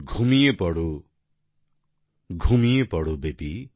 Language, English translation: Bengali, "Sleep, sleep, baby,